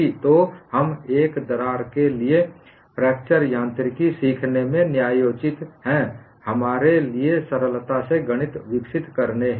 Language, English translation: Hindi, So, we are justified in learning fracture mechanics for a single crack, for us to develop the mathematics comfortably